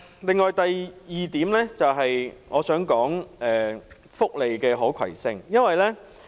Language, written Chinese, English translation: Cantonese, 此外，第二點我想談的是福利可攜性。, Then I would like to speak on welfare portability